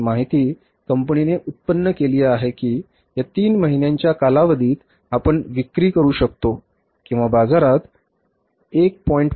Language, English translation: Marathi, This information the firm has generated that over this three months period of time we can sell or there is a possibility of selling worth of the 1